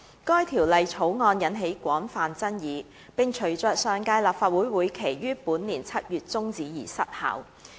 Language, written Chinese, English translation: Cantonese, 該條例草案引起廣泛爭議，並隨着上屆立法會會期於本年7月中止而失效。, The Bill has aroused widespread controversies and lapsed upon the expiry of the previous term of Legislative Council LegCo in July this year